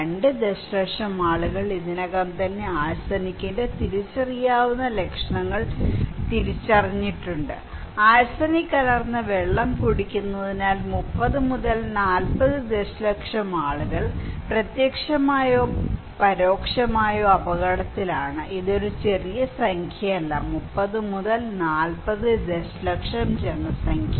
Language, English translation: Malayalam, 2 million people of Bangladesh already recognised identifiable symptoms of arsenic, okay and 30 to 40 million people are at risk indirectly or directly because they are drinking arsenic contaminated water, it is not a small number, 30 to 40 million population